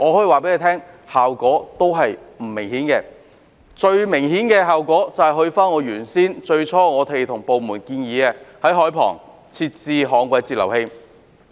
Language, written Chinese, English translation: Cantonese, 為了達致最明顯的效果，於是返回我最初向部門提出的建議，在海旁設置旱季截流器。, To achieve the most obvious effect the Government reverted to my initial proposal to the department to install DWFIs at the waterfront . Back then the Bureau made all kinds of excuses not to do so